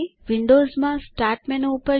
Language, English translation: Gujarati, In Windows go to the Start menu